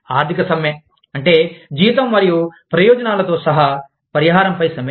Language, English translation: Telugu, Economic strike is, strike over compensation, including salary and benefits